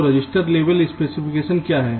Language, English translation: Hindi, so what is register level specification